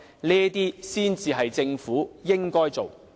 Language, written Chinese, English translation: Cantonese, 這才是政府應該做的。, These are the work that the Government should undertake